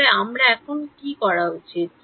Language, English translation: Bengali, So, what should I do